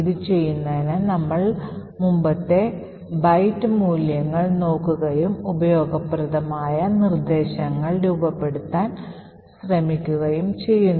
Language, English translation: Malayalam, So, in order to do this, we look at the previous byte values and try to form useful instructions